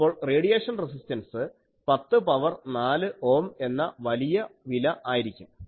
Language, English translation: Malayalam, So, apply the radiation resistance will be quite high 10 to the power 4 ohm